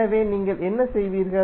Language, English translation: Tamil, So what you will do